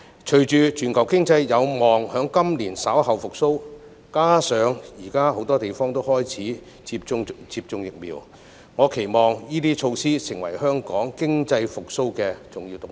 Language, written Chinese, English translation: Cantonese, 隨着全球經濟有望在今年稍後復蘇，加上現時很多地方都開始接種疫苗，我期望這些措施能夠成為香港經濟復蘇的重要動力。, With the hope that global economic recovery will be achieved later this year adding that many places have implemented vaccination I hope these measures would become an important driving force for our economic recovery